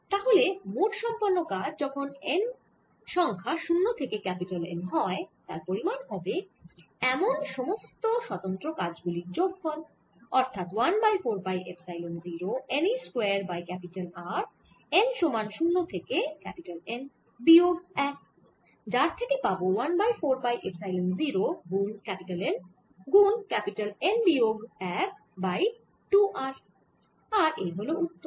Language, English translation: Bengali, so the net work done, total work done, when we increase n from zero to capital n, is going to be the sum of all these individual works: four pi, epsilon zero, n, e square over r, n equal to zero to capital n, which gives me one over four pi, epsilon zero, n, n minus one over two r, and that's the answer